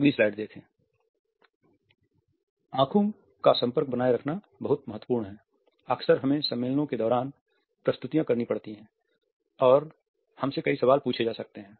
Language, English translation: Hindi, Maintaining an eye contact is very important often we have to make presentations during conferences and we may be asked several questions